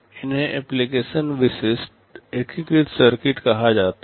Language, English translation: Hindi, These are called application specific integrated circuit